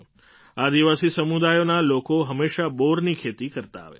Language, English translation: Gujarati, The members of the tribal community have always been cultivating Ber